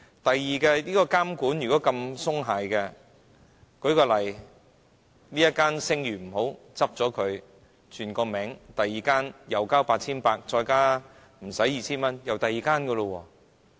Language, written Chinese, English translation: Cantonese, 第二，監管如果這麼鬆懈的話，舉例這間聲譽不好，關閉它，改另一個名，再繳交 8,800 元及少於 2,000 元，又是另一間。, The intermediaries will handle it . This is the first point . Second under such lenient supervision if the reputation of a money lender is not good for example one can close it down change the name pay 8,800 and less than 2,000 and open a new one